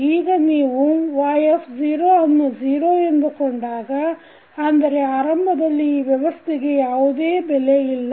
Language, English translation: Kannada, Now, if you consider y0 equal to 0 that is initially this system does not have any value